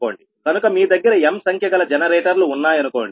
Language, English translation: Telugu, so suppose you have m number of generators